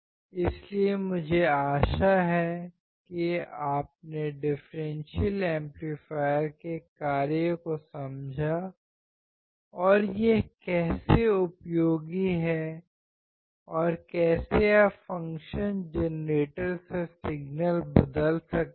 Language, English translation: Hindi, So, I hope that you understood the function of the differential amplifier and how it is useful and how you can change the signal from the function generator